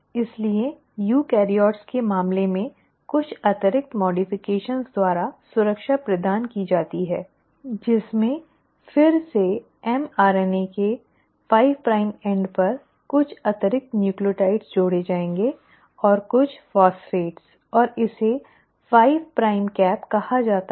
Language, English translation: Hindi, So that protection is provided by some additional modifications in case of eukaryotes wherein again the mRNA at its 5 prime end will have some additional nucleotides added, and this, and a few phosphates, and this is called as a 5 prime cap